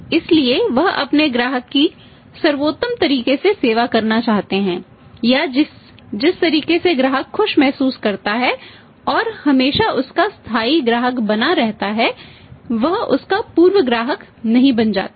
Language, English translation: Hindi, So he would like to serve his customer in the best possible way or in the way in which the customer feels happy and always he remains is permanent customer, he does not become is formal customer